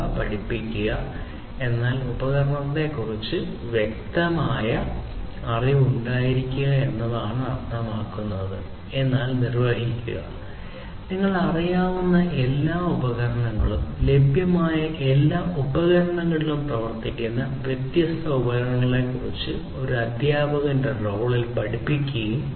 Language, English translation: Malayalam, Learn means having clear knowledge about the tools; do means perform, all the tools you know act with all the tools that are available, and teach move into the role of a teacher to teach about these different tools